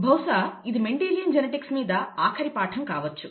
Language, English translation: Telugu, This will most likely be the last lecture on Mendelian genetics